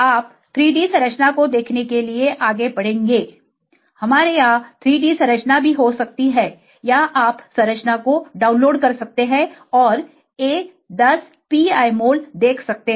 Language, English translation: Hindi, You will move on to see the 3D structure, we can also have 3D structure here or you can go and download the structure and view a10 pi mole